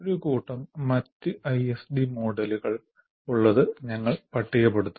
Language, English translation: Malayalam, And you have a whole bunch of other ISD models